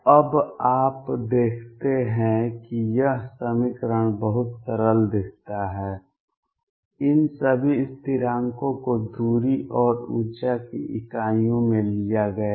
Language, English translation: Hindi, Now you see this equation looks very simple all these constants have been taken into the units of distance and energy